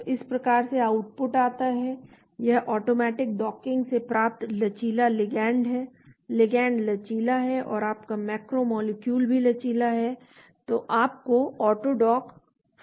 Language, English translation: Hindi, So this is how output comes in, this is automatic docking flexible ligand, the ligand is flexible and your macro molecule is also flexible which is 4 in your AutoDock 4